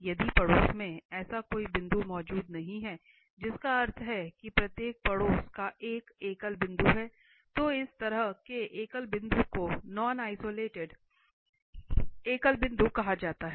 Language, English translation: Hindi, If no such point in the neighbourhood exist that means every neighbourhood has a singular point then such a singular point is called non isolated singular point